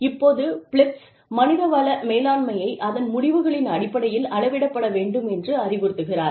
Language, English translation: Tamil, Now, Philips suggests that, human resources management, should be measured, in terms of results